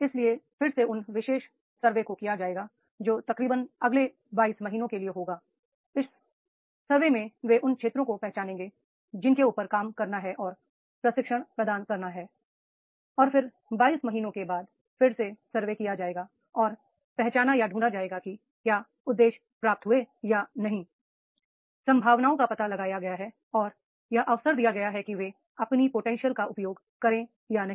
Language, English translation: Hindi, So there from again that is from this particular survey, it will be nearly about two years, 22 months will be there, they will identify, they will work on that, they will provide the training and then again make the survey after 22 months and identify whether the goal has been achieved or not, the potential has been explored and that opportunities are given to them to exercise their potential or not